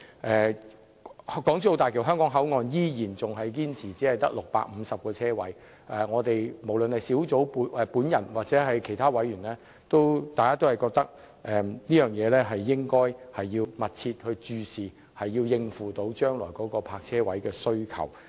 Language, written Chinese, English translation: Cantonese, 政府依然堅持港珠澳大橋香港口岸只會有650個泊車位，但無論我本人或其他委員均認為應密切注視泊車位的供應，數目必須能應付未來對泊車位的需求。, The Government still insisted on providing only 650 parking spaces at HZMB HKP . But other members and I considered that the authorities should keep a close watch on the supply of parking spaces and the number of parking spaces must be able to meet the demand in the future